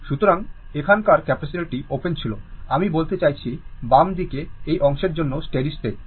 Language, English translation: Bengali, So, capacitor here was open; I mean steady state for this part left hand side right